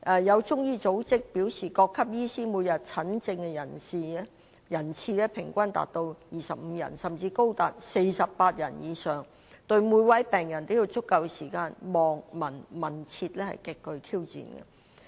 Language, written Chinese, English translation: Cantonese, 有中醫組織表示各級醫師每天診症人次平均達到25人，甚至高達48人以上，要對每位病人都有足夠時間"望、聞、問、切"，可謂極具挑戰。, A Chinese medicine organization says that the average number of patients for various levels of Chinese medicine practitioners per day is 25 and the number of patients can be more than 48 . It is thus highly challenging for them to give enough time in diagnosis by ways of observation listening history taking and pulse taking